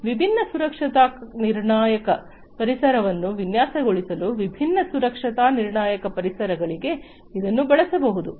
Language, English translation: Kannada, It also can be used for different safety critical environments for designing different safety critical environments